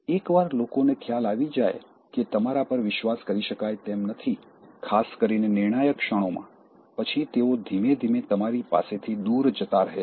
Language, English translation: Gujarati, Once people realize that they cannot trust you especially in crucial moments, so slowly they will be draw from you